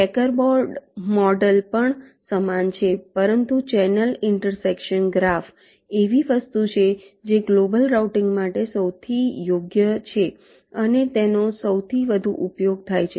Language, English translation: Gujarati, checker board model is also similar, but channel intersection graph is something which is the most suitable for global routing and is most wide used